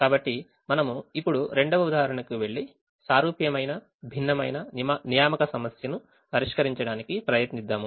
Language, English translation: Telugu, so we'll now go to the second example and try to solve a similar but different looking assignment problem